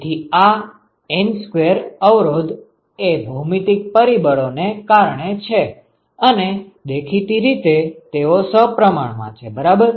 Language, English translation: Gujarati, So, these N square resistances are because of the geometric factors and obviously, they are symmetrical, right